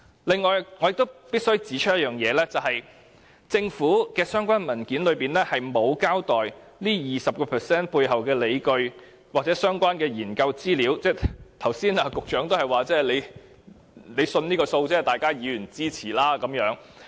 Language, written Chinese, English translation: Cantonese, 此外，我亦必須指出，在政府的相關文件中，並沒有交代 20% 背後的理據或相關研究資料，局長剛才也只是說他相信這個數字，並請各位議員支持。, Besides I must also point out that all the relevant papers of the Government fail to set out any justifications and relevant research information to support the rate of 20 % . Just now even the Secretary himself could only talk about his trust in this percentage when asking Members for their support